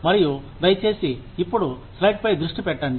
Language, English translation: Telugu, And, please focus on the slide, now